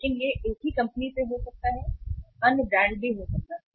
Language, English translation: Hindi, But it can be from the same company there can be other brand also